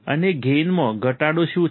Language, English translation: Gujarati, And what is the gain decrease